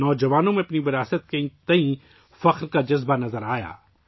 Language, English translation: Urdu, The youth displayed a sense of pride in their heritage